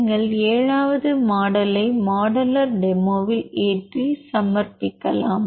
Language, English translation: Tamil, The modeller demo you can load the 7th model and submit